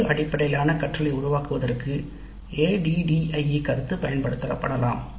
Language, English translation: Tamil, The ADE concept can be applied for constructing outcome based learning